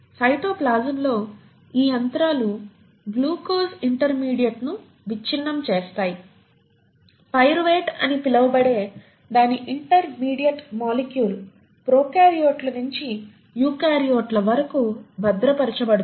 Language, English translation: Telugu, This machinery in cytoplasm which breaks down glucose intermediate, to its intermediate molecule called pyruvate is conserved across prokaryotes to eukaryotes